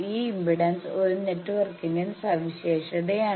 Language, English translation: Malayalam, This impedance characterizes a network